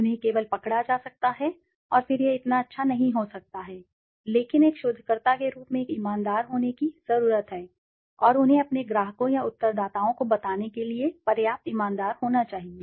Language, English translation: Hindi, They can only be caught and then that can be not so good, but as a researcher one needs to be honest and they should be honest enough to even tell their clients or the respondents